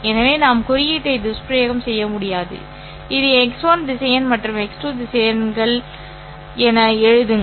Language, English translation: Tamil, So, maybe we can not abuse the notation and just write it as x1 vector and x2 vectors